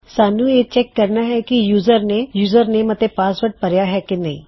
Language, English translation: Punjabi, We need to check if the users have entered the username and the password